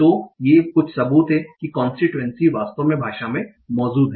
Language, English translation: Hindi, So these are some evidences that constancy actually exists in the language